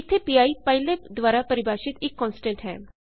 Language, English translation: Punjabi, Here pi is a constant defined by pylab